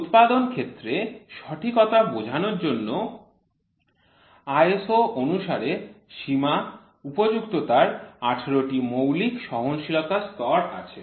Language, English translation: Bengali, The ISO system of limits and fits comprises 18 grades of fundamental tolerance to indicate the level of accuracy of the manufacturer